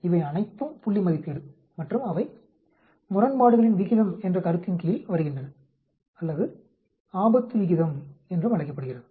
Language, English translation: Tamil, These are all point estimation and they come under the concept of odds ratio or (Refer Time: 18:21) also are called hazard ratio also odds ratio, hazard ratio